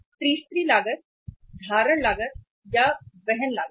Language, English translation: Hindi, So one cost is the carrying cost